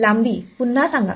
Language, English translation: Marathi, The length say that again